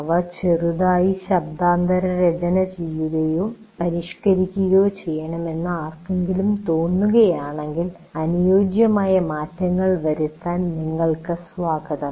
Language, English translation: Malayalam, If one feels that they need to slightly either reword them or modify them, you are most welcome to make it suitable to your thing